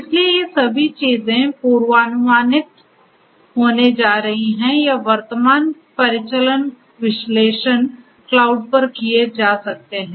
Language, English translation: Hindi, So, all of these things are going to be predictive or current operational analytics can be done at the cloud